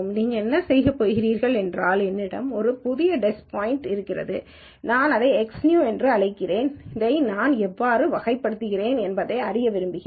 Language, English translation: Tamil, Then what you are going to do is, let us say I have a new test point which I call it X new and I want to find out how I classify this